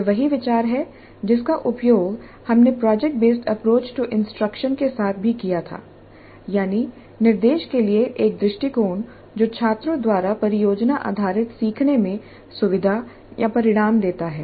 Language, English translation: Hindi, In the earlier module we understood project based approach to instruction, an approach that results in or an approach that facilitates project based learning by students